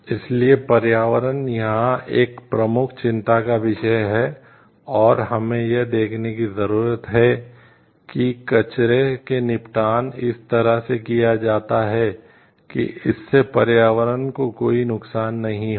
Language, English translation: Hindi, So, environment is a major concern over here and, we need to see like we are like disposal of the wastes are done in such a way, like it is not going to cause any harm to the environment at large